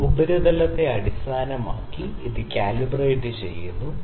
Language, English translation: Malayalam, So, it is calibrated based on this surface and this surface